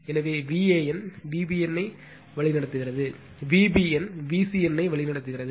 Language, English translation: Tamil, So, V a n is leading V b n, V b n is leading V c n